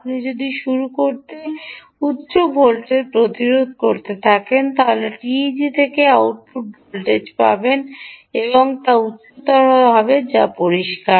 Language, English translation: Bengali, if you have higher source resistance to begin with, the output voltage that you will get from the teg will be high